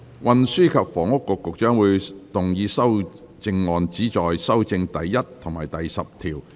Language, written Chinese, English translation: Cantonese, 運輸及房屋局局長會動議修正案，旨在修正第1及10條。, Secretary for Transport and Housing will move amendments which seek to amend clauses 1 and 10